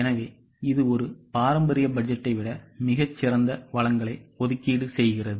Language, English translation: Tamil, So, it serves on much better allocation of resource than a traditional budget